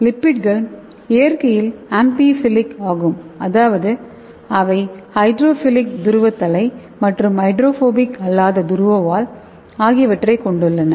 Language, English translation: Tamil, So lipids are amphiphilic in nature that means it is having hydrophilic polar head and hydrophobic tail that is non polar